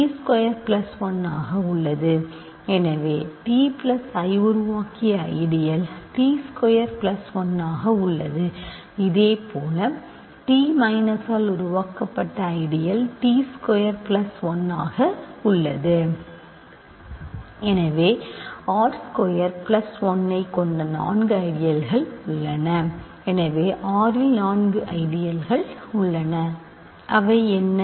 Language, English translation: Tamil, So, the ideal generated by t squared plus 1 is of course, ideal the generated by t squared plus 1 this contains t squared plus 1 this of course, contain t squared plus 1